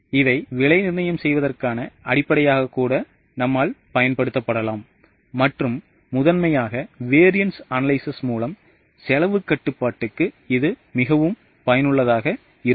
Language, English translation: Tamil, It may be used as a basis for price fixing and primarily it is useful for cost control through variance analysis